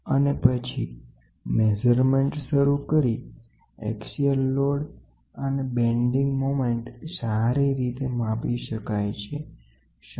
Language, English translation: Gujarati, And then, start measuring axial load and bending moment can be significantly affecting the reading, ok